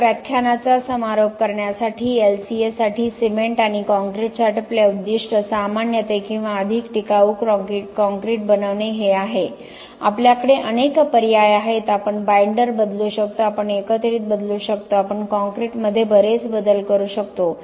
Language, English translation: Marathi, So, to conclude this lecture for LCA for cement and concrete our goal generally or the scope is to make more sustainable concrete we have many choices we can change the binder we can change the aggregate, we can do many modifications to the concrete